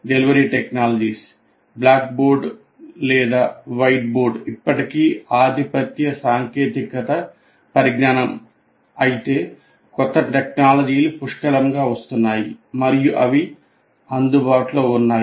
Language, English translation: Telugu, Delivery technologies while still blackboard or whiteboard is the dominant technology, but plenty of new technologies are coming and are available now readily